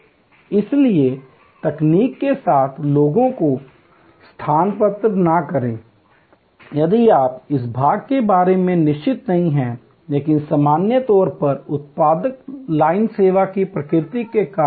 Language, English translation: Hindi, So, do not substitute people with technology, if you are not sure about this part, but in general, because of the nature of the production line service